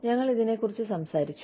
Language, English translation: Malayalam, We have talked about this